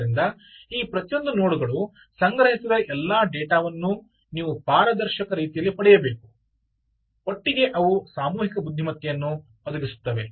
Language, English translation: Kannada, so therefore you need to get all pieces of data collected by each one of these nodes in a transparent manner and together they will perhaps provide a collective intelligence